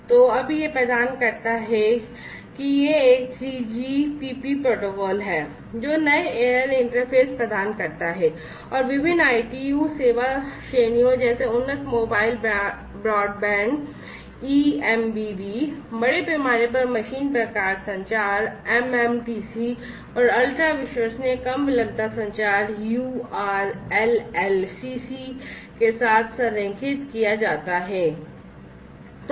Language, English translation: Hindi, So, now it provides it is a 3GPP protocol, which provides new air interface and is aligned with different ITU service categories such as the enhanced mobile broadband, eMBB, massive machine type communication, mMTC and ultra reliable low latency communication, uRLLCC